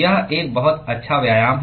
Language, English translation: Hindi, it is a very good exercise